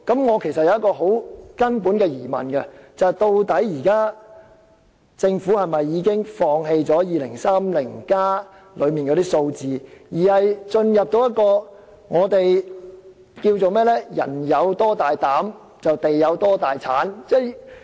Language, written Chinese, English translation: Cantonese, 我有一個很根本的疑問：究竟政府現時是否已放棄《香港 2030+》所列的數字，並進入一個我們稱為"人有多大膽地有多大產"的情況？, I thus have to ask a very fundamental question Has the Government abandoned the figures provided in the study on Hong Kong 2030 and adopted the approach of more desire more wealth to deal with the issue?